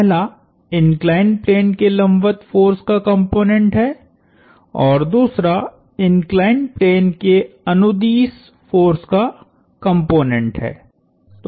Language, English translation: Hindi, The first one being the component of the force perpendicular to the inclined plane and the component of the force along the inclined plane